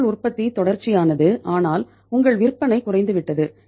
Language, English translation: Tamil, Your production is continuous but your sales have come down